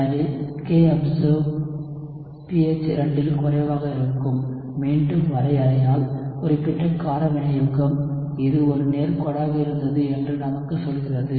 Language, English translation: Tamil, So the kobserved will be lower at pH 2, again, just by the definition, specific base catalysis what that tells us that it was be a straight line